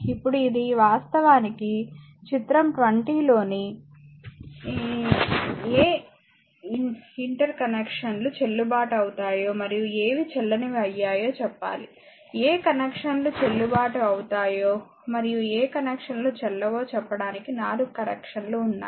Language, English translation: Telugu, Next is another example now this is actually state which interconnects in figure 20 are valid and which are invalid you have to tell, there are 4 connections that which connections are valid and which connections are in connections are invalid